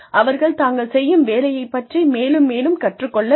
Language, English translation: Tamil, They have to keep learning, more and more, about their own work